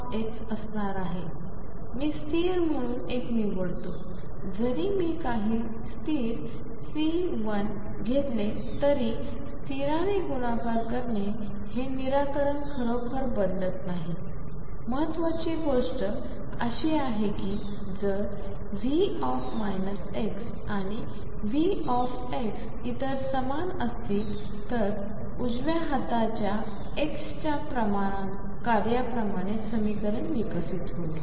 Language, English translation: Marathi, So, psi minus x is going to be plus or minus psi x, I choose that constant to be one even if I take to some constant c I can always take it that to be one multiplied by constant does not really change this solution, important thing is that if V minus x and V x other same then the way solution evolves as the function of x on the right hand sides